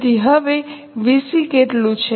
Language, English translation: Gujarati, So, how much is a VC now